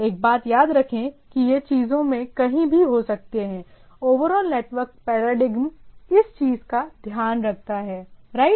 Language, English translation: Hindi, One thing to be remembered that this can be anywhere in the things, the overall networking paradigm takes care of the thing, right